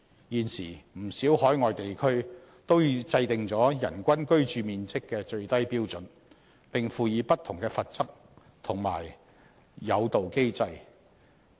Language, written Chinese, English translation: Cantonese, 現時，不少海外地區都已制訂人均居住面積的最低標準，並輔以不同的罰則及誘導機制。, Meanwhile many overseas places have enacted legislation to provide for a minimum standard of average living space per person which is also supplemented by various penalty and incentive mechanisms